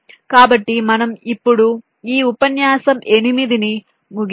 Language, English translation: Telugu, ok, so just we end, ah, this lecture eight now